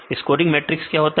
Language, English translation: Hindi, What is scoring matrix